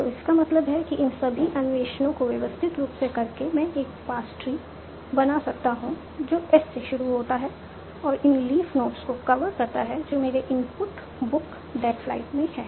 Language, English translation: Hindi, So that means by doing all this exploration systematically, I can come up with a patch tree that starts from S and exactly covers these leaf notes book that flight in my input